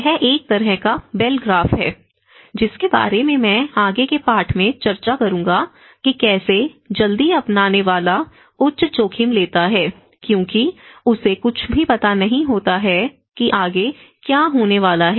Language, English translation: Hindi, It is a kind of Bell graph, which I will discuss in the further lesson where how the early adopter he takes a high risk because he does not know anything what is going to happen next